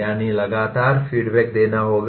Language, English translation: Hindi, That means constant feedback has to be given